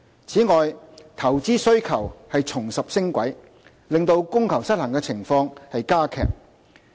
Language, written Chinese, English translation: Cantonese, 此外，投資需求重拾升軌，令供求失衡的情況加劇。, Moreover the reacceleration of investment demand aggravates the already tight demand - supply imbalance